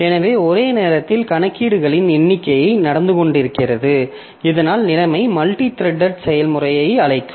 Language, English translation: Tamil, So, simultaneously a number of computations are going on simultaneously,, that situation we'll call a multi threaded process